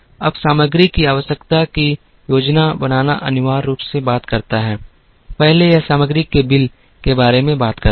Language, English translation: Hindi, Now, materials requirement planning essentially talks about, first it talks about the bill of materials